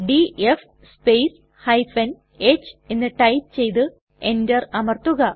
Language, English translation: Malayalam, Please type df space h and press Enter